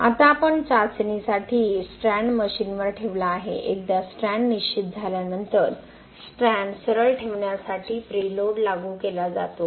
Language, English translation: Marathi, Now we have placed the strand on the machine for the testing, once the strand is fixed preload is applied to keep the strands straight